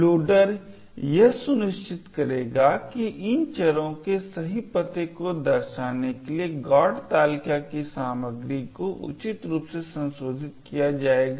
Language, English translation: Hindi, The loader will ensure that the contents of the GOT table will be appropriately modified, so as to reflect the correct address of these variables